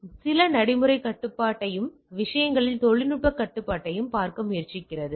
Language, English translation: Tamil, So, it tries to look at procedural operation control and as well as the technological control in the things